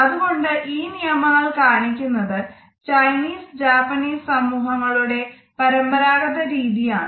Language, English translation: Malayalam, So, these rules basically reflect the conventional makeup of Chinese and Japanese societies